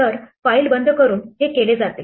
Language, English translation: Marathi, So, this is done by closing the file